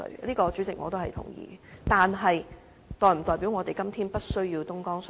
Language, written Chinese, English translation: Cantonese, 但是，這是否代表我們今天不需要東江水呢？, But does it mean that we do not need any Dongjiang water today?